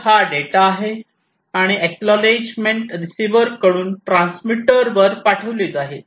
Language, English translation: Marathi, So, this is this data and the acknowledgment will be sent from the receiver to the transmitter